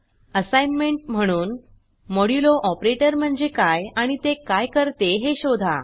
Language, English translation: Marathi, As an assignment for this tutorial Find out what is meant by the modulo operator and what it does